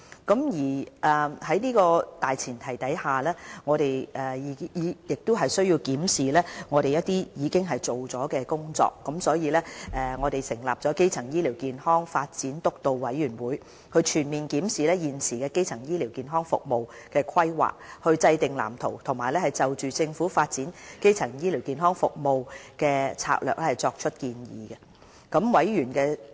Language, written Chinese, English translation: Cantonese, 在這個大前提下，我們亦需要檢視一些我們已完成的工作，因此便成立了基層醫療健康發展督導委員會，全面檢視現時基層醫療服務的規劃，制訂藍圖，以及就政府發展基層醫療服務的策略作出建議。, In doing so we have to review the effectiveness of the work we have done . We thus have set up a Steering Committee on Primary Healthcare Development to comprehensively review the existing planning of primary health care services draw up a development blueprint and advise on the Governments strategy on the development of primary health care services